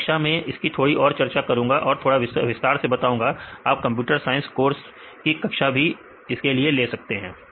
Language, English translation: Hindi, This class I will go for little bit more details or for additional details you can take a class even in the computer science courses